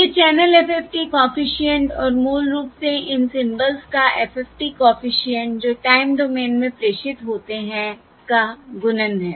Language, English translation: Hindi, It is going to be the multiplication in the of the channel FFT coefficient and basically the FFT coefficient of these symbols that are transmitted in the times domain